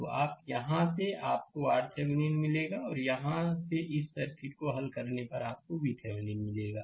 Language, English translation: Hindi, So, you have from here, you will get R Thevenin and from here solving this circuit, you will get V Thevenin